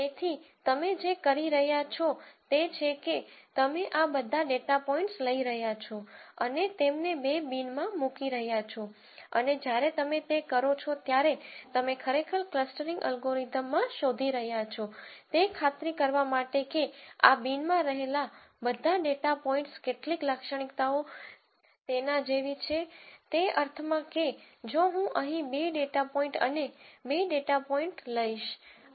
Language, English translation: Gujarati, So, all you are doing is you are taking all of these data points and putting them into two bins and while you do it what you are looking for really in a clustering algorithm is to make sure that all the data points that are in this bin have certain characteristics which are like, in the sense that, if I take two data points here and two data points here